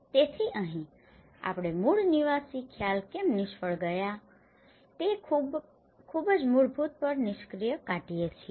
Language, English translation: Gujarati, So here, what we are concluding on the very fundamental why the core dwelling concept have failed